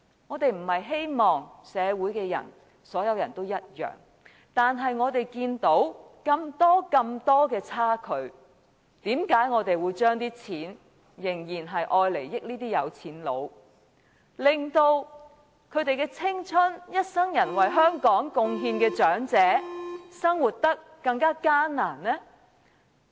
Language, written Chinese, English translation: Cantonese, 我們並非希望社會上所有人也相同，但當我們看到如此大的差距，為何我們仍然把這些錢惠及有錢人，令付出青春、一生為香港作出貢獻的長者生活得更艱難呢？, We do not expect all the people in society to be equal . However when we can see such an enormous gap in society why should all this money still go to the rich so that those elderly people who have spent their youthful years and even their entire lives contributing to Hong Kong have to lead an even more difficult life?